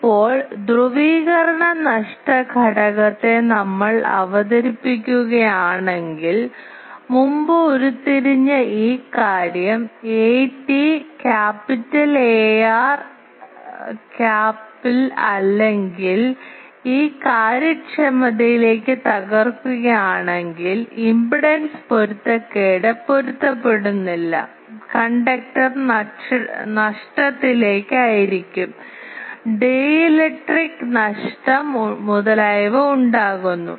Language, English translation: Malayalam, Now, if we introduce the polarization loss factor then we can write here that a t cap a r cap this thing we have earlier derived, or if we break it into this efficiencies can be broken into mismatch the impedance mismatch, in to the conductor loss, into the dielectric loss etc